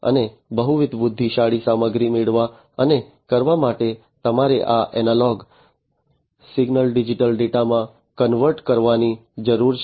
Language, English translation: Gujarati, And to get and to perform multiple you know intelligent stuff you need to convert this analog signal into digital data, right